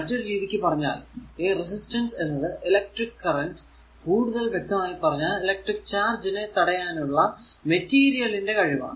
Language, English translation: Malayalam, In other words, resistance is the capacity of materials to impede the flow of current or more specifically the flow of electric charge